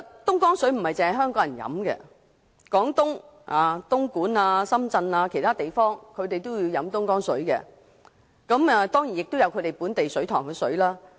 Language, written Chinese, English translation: Cantonese, 東江水並非只供港人飲用，廣東省東莞和深圳等地除在當地設有水塘外，亦有購入東江水。, Dongjiang water is not only supplied to Hong Kong people . Other places in Guangdong Province such as Dongguan and Shenzhen have also purchased Dongjiang water in addition to setting up local reservoirs